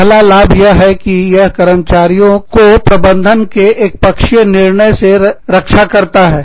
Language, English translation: Hindi, The first benefit is, that it protects, the union employees, from arbitrary management decisions